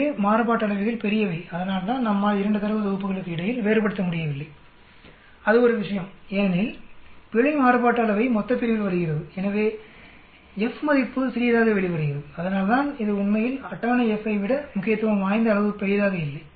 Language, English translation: Tamil, So variances are large that is why we are not able to differentiate between the 2 data sets that is one thing because the error variance comes in the denominator and so the F value comes out to be small that is why it is not significantly larger than the table F actually